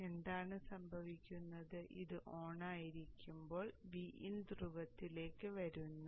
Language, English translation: Malayalam, So during the time when this is on, V In comes to the pole